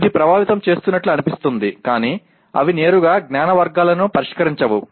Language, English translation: Telugu, It seems to be affecting that but they do not directly address the Knowledge Categories